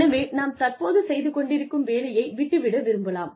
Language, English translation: Tamil, So, we want to leave, what we are doing currently